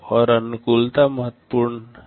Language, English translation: Hindi, And compatibility is very important